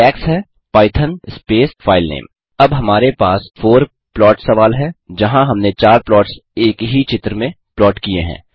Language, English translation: Hindi, The syntax is python space filename Now, we have a four plot problem where we have plotted four plots in a single figure